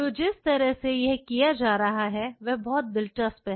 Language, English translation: Hindi, So, the way it is being done is very interesting